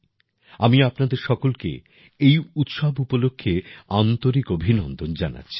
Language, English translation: Bengali, I extend warm greetings to all of you on these festivals